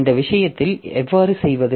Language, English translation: Tamil, Now how do we do this thing